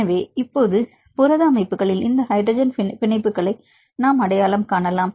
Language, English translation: Tamil, So, now we can identify this hydrogen bonds in the protein structures